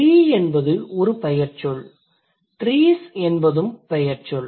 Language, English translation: Tamil, Tree is also a noun, trees is also a noun